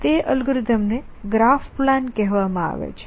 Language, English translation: Gujarati, In algorithms call graph plan an